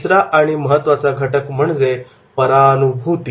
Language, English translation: Marathi, Third and important factor is and that is about the empathy